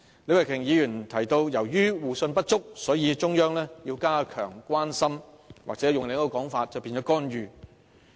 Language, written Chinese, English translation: Cantonese, 李慧琼議員提到，由於互信不足，所以中央要加強關心，或換另一種說法，便是干預。, According to Ms Starry LEE due to the lack of mutual trust the Central Authorities have to show greater concern or to put it in another way interference